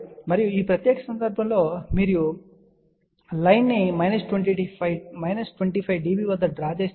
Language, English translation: Telugu, And in this particular case you can see that this line is drawn at minus 25 dB